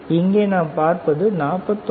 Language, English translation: Tamil, Even we know we see, here 49